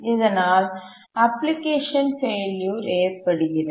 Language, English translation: Tamil, So there is application failure